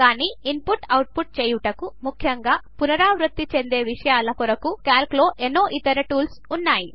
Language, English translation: Telugu, But Calc also includes several other tools for automating input, especially of repetitive material